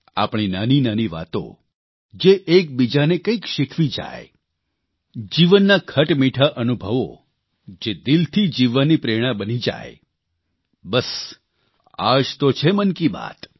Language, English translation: Gujarati, Little matters exchanged that teach one another; bitter sweet life experiences that become an inspiration for living a wholesome life…and this is just what Mann Ki Baat is